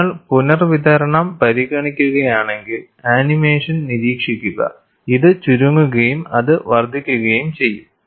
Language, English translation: Malayalam, And if you consider redistribution, just observe the animation, this will shrink and that will increase